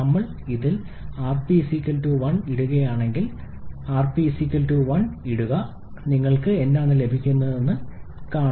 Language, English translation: Malayalam, Like if we put rp=1 in this, just put rp=1, see what you are getting